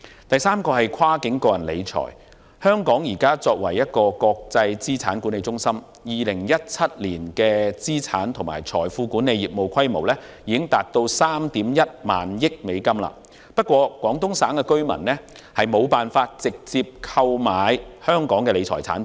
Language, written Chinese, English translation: Cantonese, 第三，在跨境個人理財方面，香港現為國際資產管理中心，在2017年的資產及財富管理業務規模已達3億 1,000 萬美元，然而，廣東省居民無法直接購買香港的理財產品。, Third in terms of cross - border personal wealth management Hong Kong is now a global asset management centre . In 2017 Hong Kongs asset and wealth management business reached US310 million . However Guangdong residents are not able to purchase Hong Kongs wealth management products direct